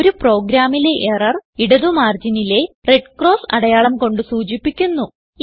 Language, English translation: Malayalam, In a program, Error is denoted by a red cross symbol on the left margin